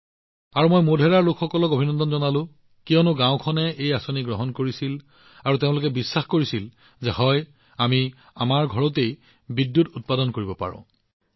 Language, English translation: Assamese, And I would like to congratulate the people of Modhera because the village accepted this scheme and they were convinced that yes we can make electricity in our house